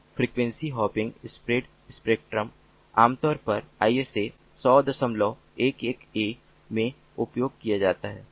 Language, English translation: Hindi, so frequency hopping spread spectrum is typically used in isa hundred point eleven a